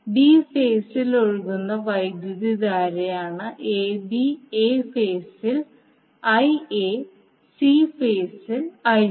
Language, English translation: Malayalam, Now I b is the current which is flowing in b phase I a in a phase and I c in c phase